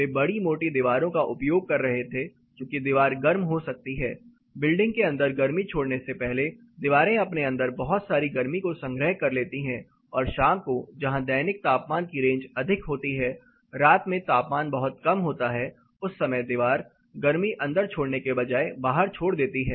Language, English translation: Hindi, They were using massive walls because the wall get heated up it stores a lot heat inside before transmitting it to indoor and evenings when the diurnal you know the range there were diurnal heat range is much larger temperature range, the night time temperature is pretty low